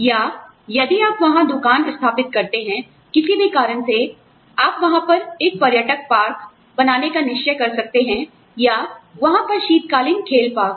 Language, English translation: Hindi, Or, if you set up shop there, for whatever reason, you may decide to put up a, say, a tourist park, over there